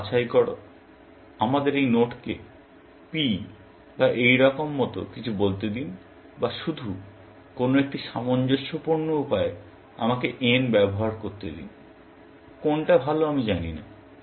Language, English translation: Bengali, Pick some; let us say this node p or something like that, or just a way consistent, let me use n; I do not know which is better